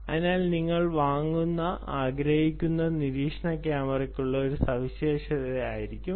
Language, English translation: Malayalam, so they will be a specification for the surveillance camera that you want to buy